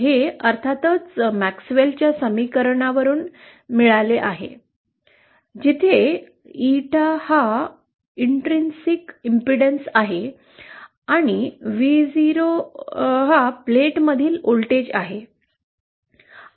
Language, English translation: Marathi, This is of course obtained by MaxwellÕs equations where Eeta is the intrinsic impedance and Vo is the voltage between the plates